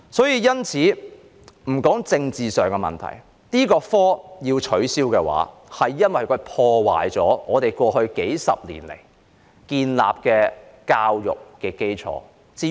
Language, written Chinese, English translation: Cantonese, 因此，我認為應該取消這個學科，因為它破壞了過去數十年來建立的教育基礎。, Therefore I think this subject should be removed because it has shattered the foundation of education established over the past few decades